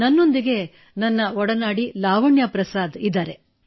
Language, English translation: Kannada, My fellow Lavanya Prasad is with me